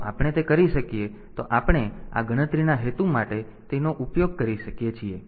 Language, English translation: Gujarati, So, if we can do that then, we can use it for this counting purpose